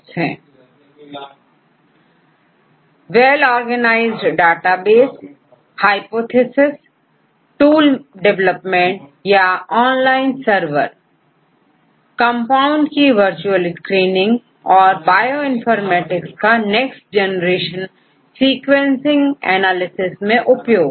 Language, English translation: Hindi, Databases, and then get the hypothesis and development of tools or online servers, and virtual screening of compounds and currently Bioinformatics is used in the Next Generation Sequencing analysis